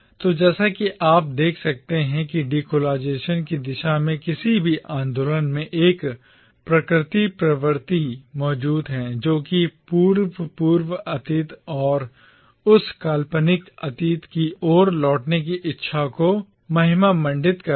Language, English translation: Hindi, So as you can see here, in any movement towards decolonisation there exists a natural tendency to glorify the precolonial past and a desire to return to that fabled past